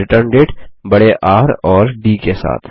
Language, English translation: Hindi, Or ReturnDate with a capital R and D